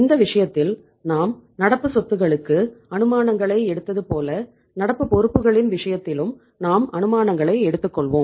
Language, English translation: Tamil, In this case let us take the assumptions like we took the assumptions in case of the current assets we will take the assumptions here in case of the current liabilities also